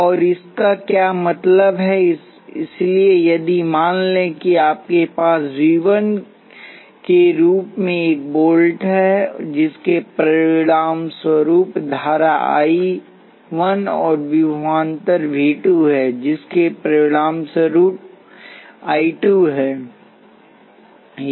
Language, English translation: Hindi, And what does this mean, so if let say you have a volt as V 1 which results in a current I 1 and voltage V 2, which result in a current I 2